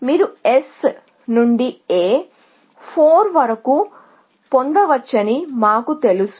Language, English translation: Telugu, Because, we know that you can get from S to A is 4